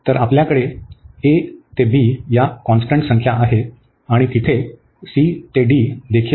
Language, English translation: Marathi, So, we have these constant numbers a to b, and there also c to d